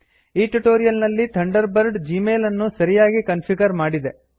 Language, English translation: Kannada, In this tutorial, Thunderbird has configured Gmail correctly